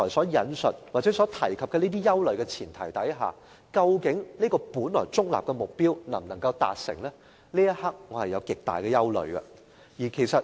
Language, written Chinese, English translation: Cantonese, 然而，在我剛才提及的憂慮存在的情況下，這個本來中立的目標究竟能否達成，我有極大的疑問。, However given the worries I just mentioned I have great doubts whether this inherently neutral objective can be achieved